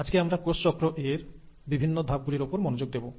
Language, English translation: Bengali, Today we’ll only focus on the various steps of cell cycle